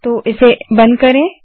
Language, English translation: Hindi, So close this